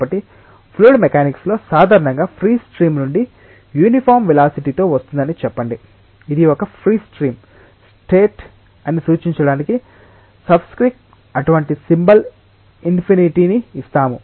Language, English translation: Telugu, So, let us say that the fluid is coming with a uniform velocity from a free stream in fluid mechanics usually, we give such a symbol infinity with a subscript to indicate that it is a free stream condition